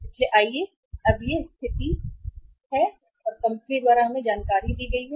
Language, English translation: Hindi, So let us let us now this is the situation or this is the information given to us by the company